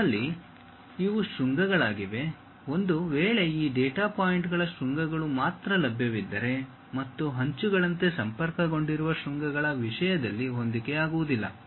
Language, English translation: Kannada, We have these are the vertices, in case only these data points vertices are available and there is a mismatch in terms of vertices which are connected with each other like edges